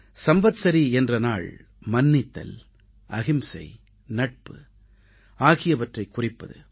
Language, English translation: Tamil, The festival of Samvatsari is symbolic of forgiveness, nonviolence and brotherhood